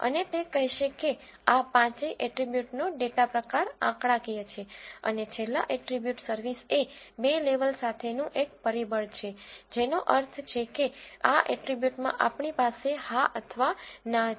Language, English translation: Gujarati, And they will say the data type of all this five attributes is numeric, and the last attribute service is a factor with two levels that means we have yes or no in this attribute